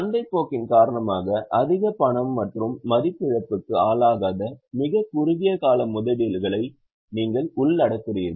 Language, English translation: Tamil, You include extremely short term investments which are highly liquid and are not exposed to loss of value because of market forces